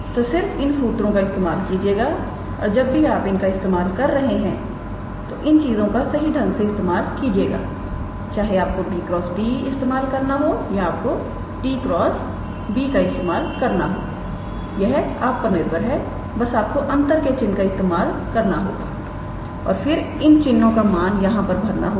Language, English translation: Hindi, So, just use those formulas and whenever you are using them use their proper sign whether you have to use b cross t or whether you have to use t cross b depending on that you will use the minus sign, and just substitute those signs here